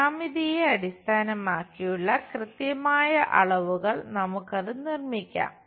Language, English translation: Malayalam, The exact dimensions based on the geometry we will construct it